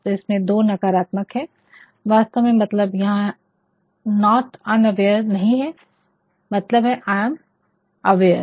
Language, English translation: Hindi, So, there are two negatives actually the meaning is not unaware means I am aware is not it